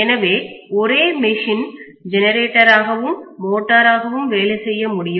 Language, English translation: Tamil, So the same machine can work as generator as well as motor